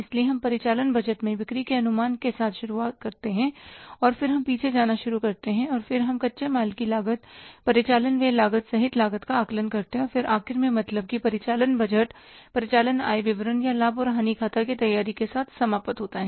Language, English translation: Hindi, So, we start with the sales estimation in the operating budget and then we start back tracking and then we assess the cost including the raw material cost, operating expenses cost and then we end up means the operating budget ends up with the preparing the operating income statement or the profit and loss account